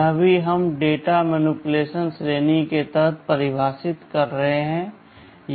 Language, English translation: Hindi, This also we are defining under the data manipulation category